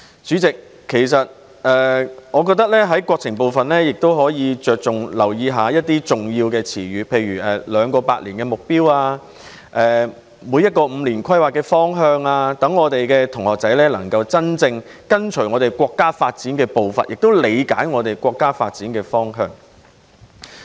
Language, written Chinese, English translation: Cantonese, 主席，我認為有關國情的部分可以着重留意一些重要的詞語，例如"兩個百年"的目標，每個五年規劃的方向，讓學生能夠真正跟隨國家發展的步伐，並理解國家發展的方向。, President in my opinion more emphasis should be placed on the important expressions relating to our country for example the two centenary goals and the direction of each Five Year Plan . This would enable students to genuinely follow the pace of national development and understand the direction of national development